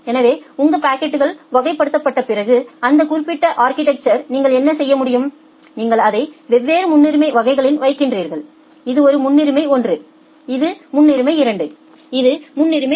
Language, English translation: Tamil, So, in that particular architecture what you can do, that after your packets are getting classified, then you put it into different priority classes say this is a priority 1, this is a priority 2, this is a priority 3